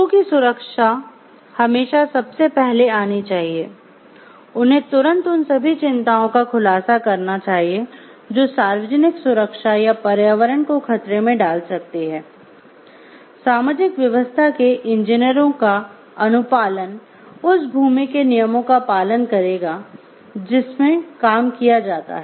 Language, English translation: Hindi, Safety of the people must always come first, they should promptly disclose all concern the factor that might endanger the public safety or the environment, compliance with social order engineers shall abide by the laws of the land in which the work is performed